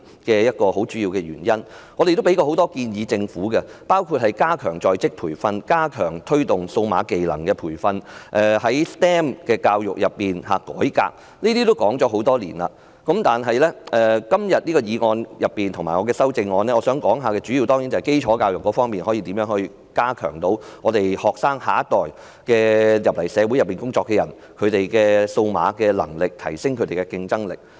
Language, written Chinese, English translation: Cantonese, 我們曾向政府提出很多建議，包括加強在職培訓，加強推動數碼技能培訓，改革 STEM 教育，這些建議已說了很多年，但今天的議案和我的修正案，當然主要是提及如何加強基礎教育，讓學生、我們的下一代，以至進入社會工作的青年人，提升數碼能力和競爭力。, We have put forward many suggestions to the Government including enhancing on - the - job training stepping up efforts in promoting training on digital skills and reforming STEM education . These suggestions have been made many years ago but in discussing the motion and my amendment today I must certainly mention in particular how to strengthen basic education so that our students the next generation and young people who have started work in our society can enhance their digital skills and competitiveness